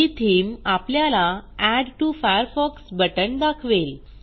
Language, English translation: Marathi, This theme displays Add to Firefox button